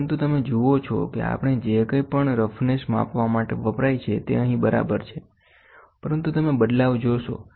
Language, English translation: Gujarati, But you see whatever we used roughness measuring is also used here but you see the change